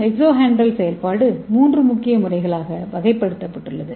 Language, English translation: Tamil, And again this exohedral functionalisation is sub categorized into three main methods